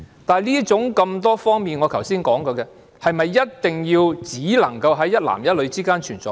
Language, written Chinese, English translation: Cantonese, 但是，我剛才提及的多方面，是否只能在一男一女之間存在？, However can the many aspects I mentioned just now exist only between man and woman?